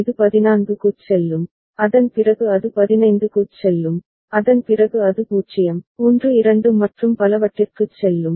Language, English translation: Tamil, It will go to 14, after that it will go to 15, after that it will go to 0, 1 2 and so on, 3